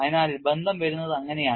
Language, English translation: Malayalam, So, that is the way the relationship comes